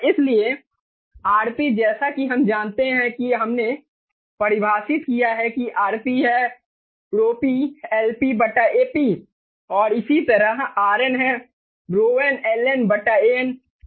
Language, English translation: Hindi, so r p, as we know we have defined before, rp is rho p, lp over ap, and similarly, rn is rho n ln over an clear